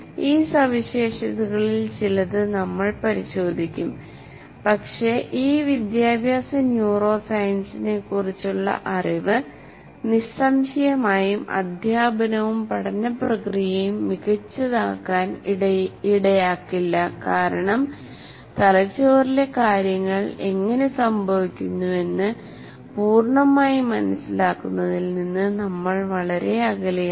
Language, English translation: Malayalam, But the knowledge of this neuroscience, educational neuroscience is certainly not going to lead to making teaching and learning process a perfect one because we are far from fully understanding how things happen in the brain